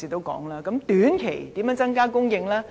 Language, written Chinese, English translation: Cantonese, 如何在短期內增加供應呢？, How can supply be increased in the short term?